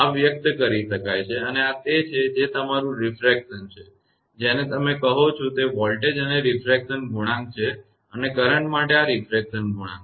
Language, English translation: Gujarati, this can be expressed and these are the your refraction your what you call that refraction coefficient for voltage and this is the refraction coefficient for the current